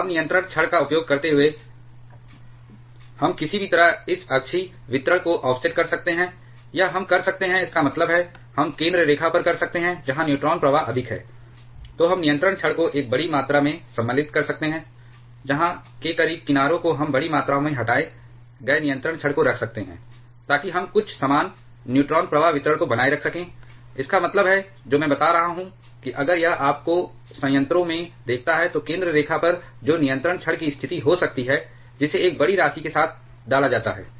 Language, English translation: Hindi, Now, using the control rods, we can somehow offset this axial distribution, or we can, that means, we can at the center line where the neutron flux is more then we can insert the control rods by a larger amount where as close to the edges we can keep the control rods removed by a bigger amount so that we can maintain somewhat uniform neutron flux distribution; that means, what I am referring to if this is your reactor, at the center line that may be position of the control rod which is inserted with a big amount